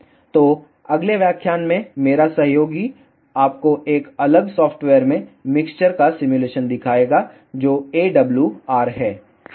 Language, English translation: Hindi, So, in the next lecture, my colleague will show you the simulation of mixers in a different software that is AWR